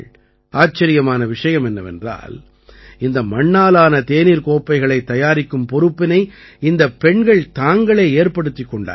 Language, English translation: Tamil, The amazing thing is that these women themselves took up the entire responsibility of making the Terracotta Tea Cups